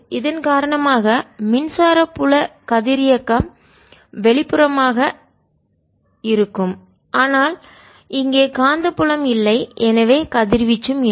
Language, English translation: Tamil, this charge is going to be radially awkward and there is no magnetic field and therefore no radiation